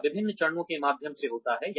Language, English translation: Hindi, This happens through various steps